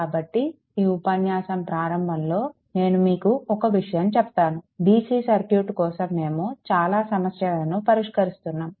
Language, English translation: Telugu, So, just beginning of this lecture let me tell you one thing, that for DC circuit we will so, we are solving so many problems